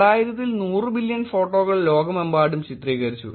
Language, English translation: Malayalam, In the year 2000, 100 billion photos were shot worldwide